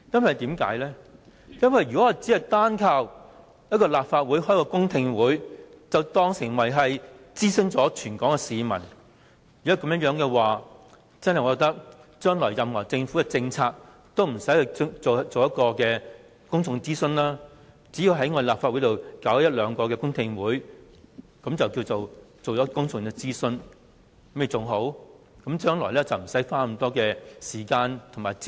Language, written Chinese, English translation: Cantonese, 因為如果只單靠立法會舉行過一次公聽會，便當作已諮詢了全港市民的話，那麼我認為政府將來的所有政策，也不用進行公眾諮詢，只須在立法會舉行一兩次公聽會，便可視作已進行了公眾諮詢，將來便不用花那麼多時間和資源。, If the Government deems that it has consulted all the people in Hong Kong by launching one public hearing then I think the Government needs not to consult the public in future on any policy . It can consider that a public consultation has been conducted after one or two public hearing sessions are held in the legislature . It can save up a lot of time and resources in future